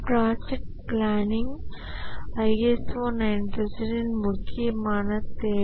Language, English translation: Tamil, Project planning is a important requirement of ISO 9,001